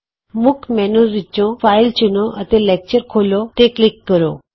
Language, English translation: Punjabi, From the Main menu, select File, and then click Open Lecture